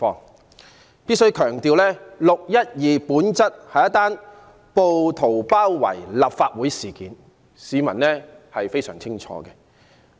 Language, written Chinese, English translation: Cantonese, 我必須強調，"六一二"事件本質是一宗暴徒包圍立法會大樓的事件，這一點市民非常清楚。, I must stress that the 12 June incident is essentially a siege of the Legislative Council Complex by rioters . Members of the public know full well about this